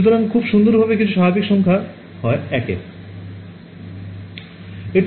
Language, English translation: Bengali, So, everything is normalized very nicely to 1 right